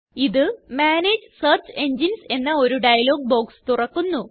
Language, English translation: Malayalam, The Manage Search Engines list dialog box pops up